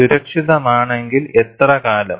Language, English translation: Malayalam, If safe for how long